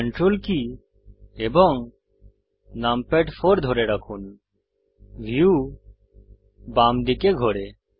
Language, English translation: Bengali, Hold Ctrl numpad 4 the view pans to the Left